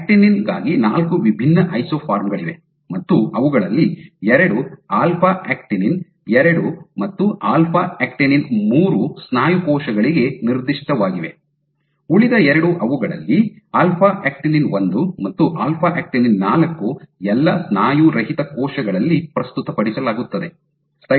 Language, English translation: Kannada, So, for actinin you have 4 different isoforms of actinin, 2 of them alpha actinin 2 and alpha actinin 3 are specific to muscle cells, the other 2 of them alpha actinin 1 and alpha actinin 4 are presented all non muscle cells